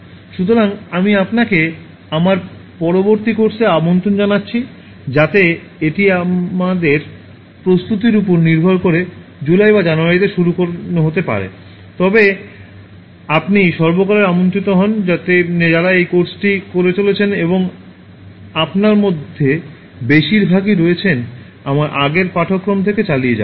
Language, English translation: Bengali, So, I invite you to my next course so it may start in July or in January depending on our preparedness, but then you are all the time invited, all those who have been doing this course and some of you, the majority of you are continuing from my previous course